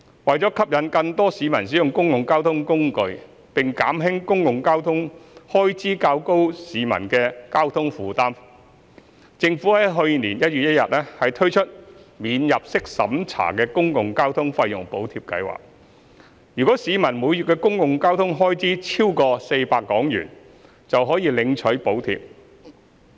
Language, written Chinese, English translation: Cantonese, 為吸引更多市民使用公共交通工具，並減輕公共交通開支較高的市民的交通費負擔，政府於去年1月1日推出免入息審查的公共交通費用補貼計劃，若市民每月的公共交通開支超出400元，便可領取補貼。, To attract more people to use public transport and to alleviate the burden of transport expenses on those who spend more on public transport the Government launched the non - means tested Public Transport Fare Subsidy Scheme the Scheme on 1 January last year . Members of the public who spend more than 400 a month on public transport are eligible for the subsidy